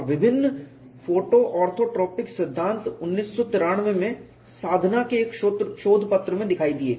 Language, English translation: Hindi, This has been achieved and the various photo orthotropic theories have appeared as a paper in Sadhana in 1993